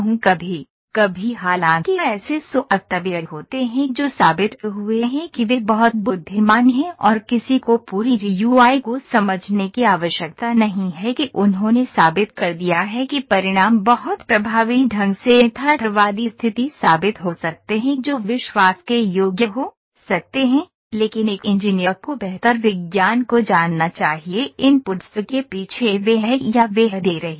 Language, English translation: Hindi, Sometimes though there are software’s that have proven would to be very intelligent and one need not to understand the complete GUI of that they have proves proven the results to be very effectively realistic condition that can be trust worthy, but an engineer should better know the sciences behind the inputs that is he is or she is giving